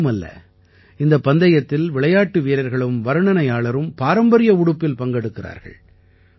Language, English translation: Tamil, Not only this, in this tournament, players and commentators are seen in the traditional attire